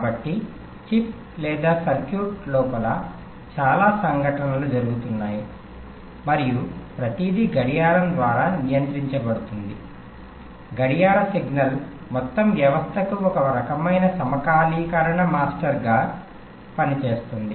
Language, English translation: Telugu, so there are lot of events which are going on inside the chip or the circuitry and everything is controlled by a clock, a clock signal which acts as some kind of a synchronizing master for the entire system